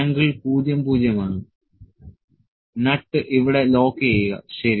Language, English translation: Malayalam, The angle is 00, lock the nut here, ok